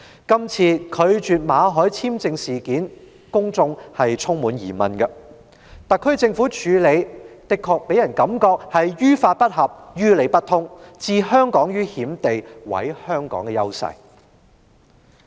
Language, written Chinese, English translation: Cantonese, 公眾對政府拒絕向馬凱先生發出簽證充滿疑問，特區政府的處理方法也令人覺得於法不合、於理不通，置香港於險地及毀香港的優勢。, Members of the public have various doubts about the Governments refusal to issue a visa to Mr Victor MALLET and the SAR Governments handling of the incident gives people the impression that the Government is unlawful and unreasonable putting Hong Kong in danger and destroying our advantages